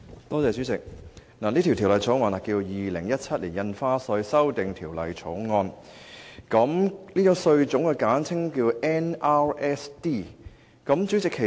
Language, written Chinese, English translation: Cantonese, 代理主席，《2017年印花稅條例草案》旨在引入新住宅印花稅，該稅種簡稱 NRSD。, Deputy President the objective of the Stamp Duty Amendment Bill 2017 the Bill is to introduce the New Residential Stamp Duty NRSD measure